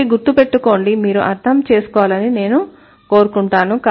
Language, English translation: Telugu, So, remember this is what I want you to understand